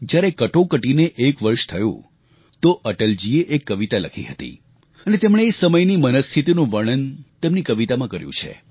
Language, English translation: Gujarati, After one year of Emergency, Atal ji wrote a poem, in which he describes the state of mind during those turbulent times